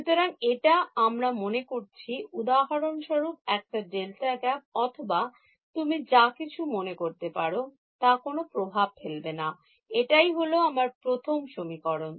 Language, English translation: Bengali, So, this we are assuming, for example, a delta gap or whatever you want does not matter what it is, that is my first equation